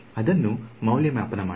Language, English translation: Kannada, Just evaluate it